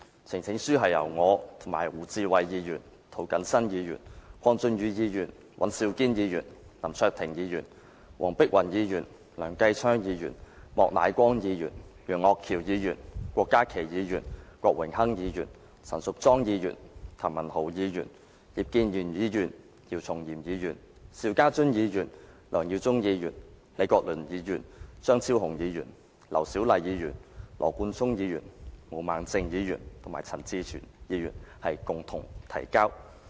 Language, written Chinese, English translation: Cantonese, 呈請書是由我、胡志偉議員、涂謹申議員、鄺俊宇議員、尹兆堅議員、林卓廷議員、黃碧雲議員、梁繼昌議員、莫乃光議員、楊岳橋議員、郭家麒議員、郭榮鏗議員、陳淑莊議員、譚文豪議員、葉建源議員、姚松炎議員、邵家臻議員、梁耀忠議員、李國麟議員、張超雄議員、劉小麗議員、羅冠聰議員、毛孟靜議員及陳志全議員共同提交。, The petition is jointly presented by me Mr WU Chi - wai Mr James TO Mr KWONG Chun - yu Mr Andrew WAN Mr LAM Cheuk - ting Dr Helena WONG Mr Kenneth LEUNG Mr Charles Peter MOK Mr Alvin YEUNG Dr KWOK Ka - ki Mr Dennis KWOK Ms Tanya CHAN Mr Jeremy TAM Mr IP Kin - yuen Dr YIU Chung - yim Mr SHIU Ka - chun Mr LEUNG Yiu - chung Prof Joseph LEE Dr Fernando CHEUNG Dr LAU Siu - lai Mr Nathan LAW Ms Claudia MO and Mr CHAN Chi - chuen